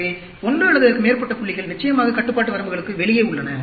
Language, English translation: Tamil, So, one or more points are outside the control limits, of course